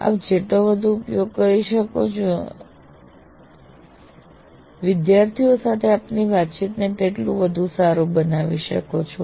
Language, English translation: Gujarati, The more you can use, the more you can improve your interaction with the students